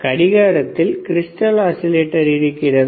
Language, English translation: Tamil, Is there a crystal is there an oscillator in a watch